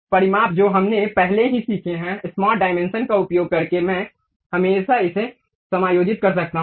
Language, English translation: Hindi, Dimensions we have already learned, using smart dimensions I can always adjust this